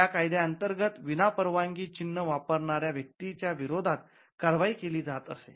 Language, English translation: Marathi, So, there was a penalty attributed to a person who uses a mark without authorization